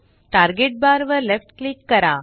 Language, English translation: Marathi, Left click the target bar